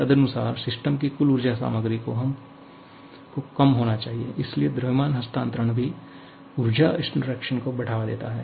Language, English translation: Hindi, Accordingly, the total energy content of the system should reduce, so mass transfer also leads to energy interactions